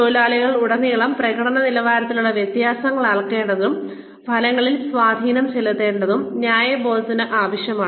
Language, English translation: Malayalam, Fairness requires that, differences in performance levels, across workers be measured, and have an effect on outcomes